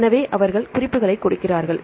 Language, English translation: Tamil, So, they give the references